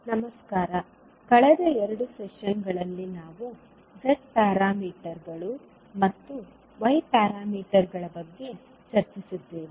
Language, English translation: Kannada, Namaskar, in last two sessions we discussed about the z parameters and y parameters